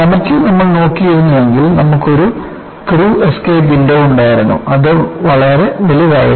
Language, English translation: Malayalam, Now, if you had looked at, in the comet, you had a crew escape window which was quite large